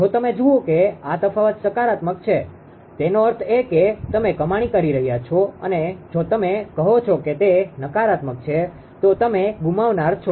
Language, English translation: Gujarati, If you see that this difference is positive; that means, you are gaining and if you say it is negative means you are what you call you are a loser